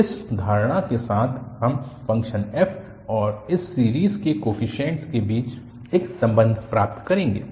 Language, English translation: Hindi, So, with this assumption we will get a relation between the function f and the coefficients of this series